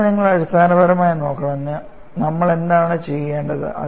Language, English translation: Malayalam, So, you have to look at fundamentally, what is it that we have to do